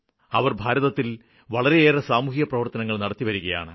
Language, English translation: Malayalam, They do a lot of social work in India